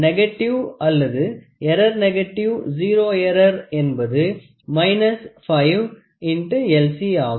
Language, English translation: Tamil, So, the negative or the error negative zero error is nothing, but minus 5 times into LC